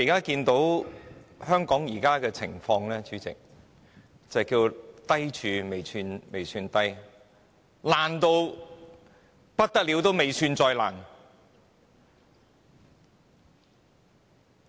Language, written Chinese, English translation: Cantonese, 主席，香港現時的情況可謂"低處未算低"，"爛透仍未算最爛"。, President it can be said that the situation of Hong Kong has kept worsening and the worst has yet to come